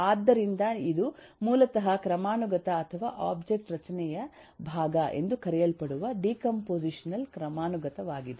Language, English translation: Kannada, so this is basically the decompositional hierarchy, known as the part of hierarchy or the object structure